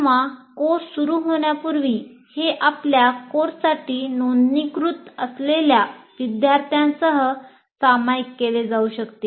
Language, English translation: Marathi, So or even on before the course also starts, this can be shared with the students who are registered for your course